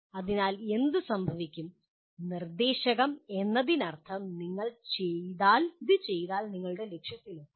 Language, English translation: Malayalam, So what happens, prescriptive means if you do like this you will reach your goal better